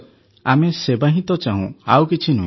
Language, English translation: Odia, Service is what we need… what else